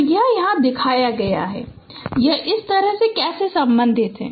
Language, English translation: Hindi, So this this has been shown here how it can be related like this